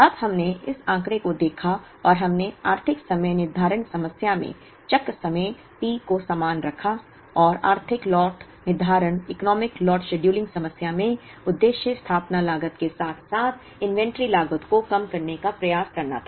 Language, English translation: Hindi, Now, we looked at this figure and we kept the cycle time T same in the economic lot scheduling problem, and in the economic lot scheduling problem, the objective was to try and minimize the sum of the setup cost as well as the inventory cost